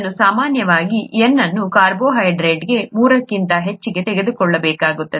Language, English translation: Kannada, And usually N is taken to be greater than three for a carbohydrate